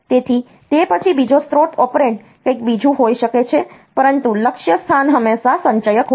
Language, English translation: Gujarati, So, after that the second source operand, may be something else, but the destination is always the accumulator